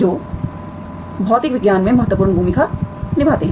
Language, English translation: Hindi, These are, these play important roles in the physical and, physical sciences